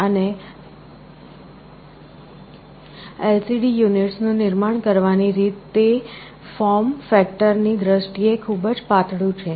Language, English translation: Gujarati, And the way LCD units are manufactured they are also very thin in terms of form factor